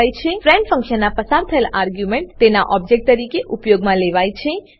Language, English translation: Gujarati, The argument passed in the friend function is used as its object